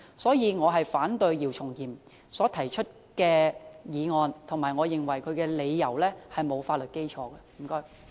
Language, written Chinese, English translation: Cantonese, 所以，我反對姚松炎議員提出的議案，而且我認為其理由並無法律基礎。, Therefore I reject the motion proposed by Dr YIU Chung - yim while considering that his arguments have no legal basis